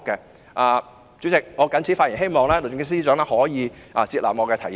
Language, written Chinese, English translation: Cantonese, 代理主席，我謹此發言，希望律政司司長可以接納我的提議。, Deputy Chairman I so submit . I hope the Secretary for Justice will take my advice